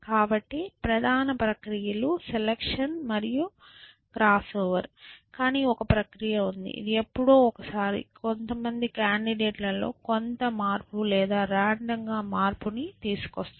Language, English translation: Telugu, So, the primary processes is selection and cross over, but there is a process which once in a while we do which we make some change in some candidates essentially or random change in some candidate